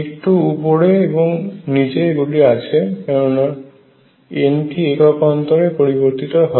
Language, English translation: Bengali, Little up and down is coming because n changes by 1